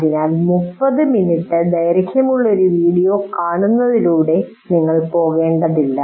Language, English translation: Malayalam, So you don't have to go through watching the entire 30 minute video